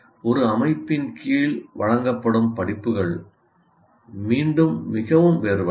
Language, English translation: Tamil, So the system under which the course is offered is very different again